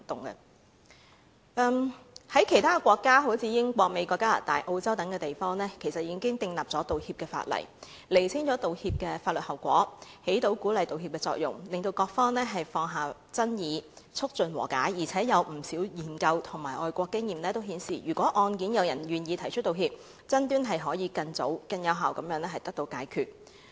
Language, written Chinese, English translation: Cantonese, 在其他國家如英國、美國、加拿大、澳洲等地，其實已訂立道歉法例，釐清了道歉的法律後果，起到鼓勵道歉的作用，讓各方放下爭議，促進和解；而且有不少研究和外國經驗均顯示，如果案件有人願意提出道歉，爭端可以更早及更有效地解決。, In fact many other counties have enacted apology laws such as the United Kingdom the United States Canada and Australia . The laws have explicitly clarified the legal consequences of an apology . This effectively encourages people to offer apologies thereby allowing different parties to settle the conflicts and conciliate